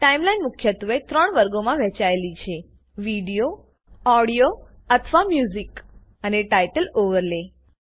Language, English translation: Gujarati, The Timeline is split into three categories – Video, Audio/Music, and Title Overlay